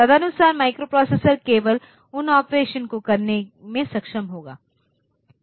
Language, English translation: Hindi, So, accordingly that microprocessor will be able to do those operations only